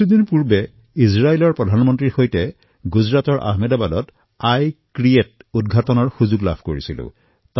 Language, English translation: Assamese, A few days ago, I got an opportunity to accompany the Prime Minister of Israel to Ahmedabad, Gujarat for the inauguration of 'I create'